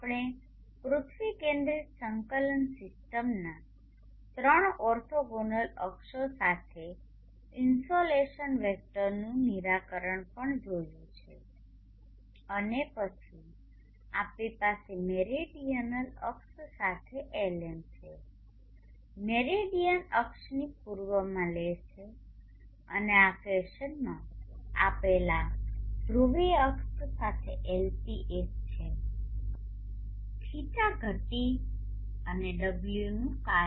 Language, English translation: Gujarati, We have also seen the insulation vector being resolved along three orthogonal axis of the earth centric coordinate system and then we have the Lm along the meridional axis, Le along the east of the meridian axis and Lp along the polar axis given in this fashion has a function of d declination and